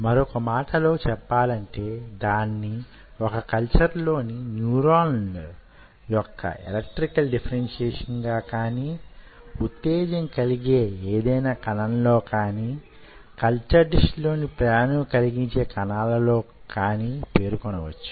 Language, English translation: Telugu, in other word, you can term it as electrical differentiation of neurons in a culture or any other excitable cell as electrical differentiation of excitable cells in a culture dish